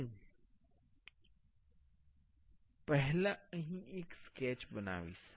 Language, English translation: Gujarati, I will first create a sketch here